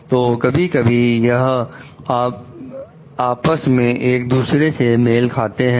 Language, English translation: Hindi, So, sometimes these to me coincide with each other